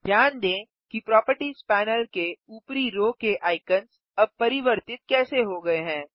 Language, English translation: Hindi, Notice how the icons at the top row of the Properties panel have now changed